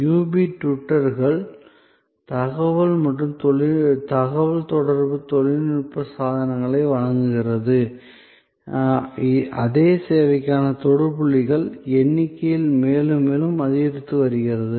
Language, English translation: Tamil, The UB twitters presents of information and communication technology appliances, the number of touch points for the same service are going up and up